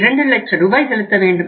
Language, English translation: Tamil, 5 lakh rupees